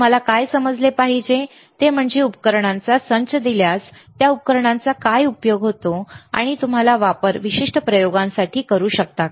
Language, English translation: Marathi, What you should understand is, that given a given a set of equipment what is a use of those equipment, and can you use it for particular experiments, right